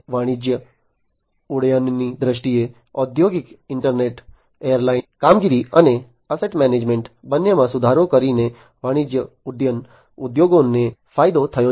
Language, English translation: Gujarati, In terms of commercial aviation, the industrial internet, has benefited the commercial aviation industries by improving both airline operations and asset management